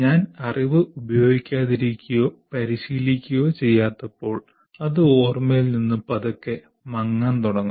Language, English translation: Malayalam, When I am not using that knowledge or practicing, it will slowly start fading from the memory